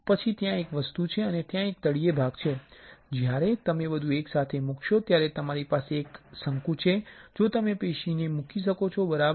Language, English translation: Gujarati, Then there is a spring and there is a bottom part when you put everything together you have a cone in which you can place the tissue alright